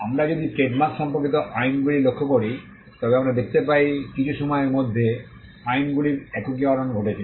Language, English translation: Bengali, If we look at the laws pertaining to trademarks, we can see a consolidation of laws happening over a period of time